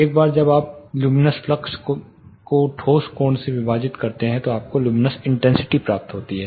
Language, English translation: Hindi, Once you divide luminous flux by the solid angle then you get the luminous intensity